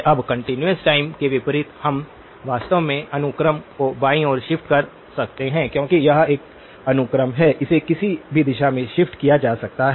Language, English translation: Hindi, Now, unlike continuous time we can actually shift the sequence to the left as well because it is a sequence, it can be shifted in either direction